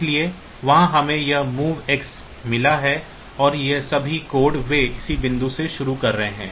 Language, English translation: Hindi, So, there I have got this move X and all these codes they are starting from this point onwards